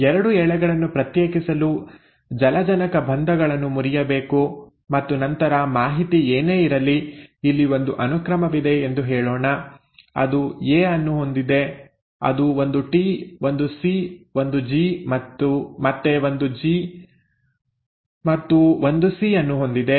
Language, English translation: Kannada, The hydrogen bonds have to be broken to kind of separate the 2 strands and then whatever is the information, let us say there is a set of sequence here, it has a A, it has a T, a C, a G, a G again and a C